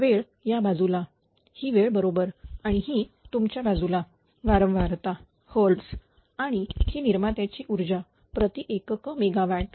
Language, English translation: Marathi, This is time this side is time this is time right and this is your this side is frequency hertz and this is generator power in per unit megawatt right